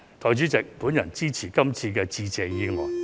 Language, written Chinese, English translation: Cantonese, 代理主席，我支持致謝議案。, Deputy President I support the Motion of Thanks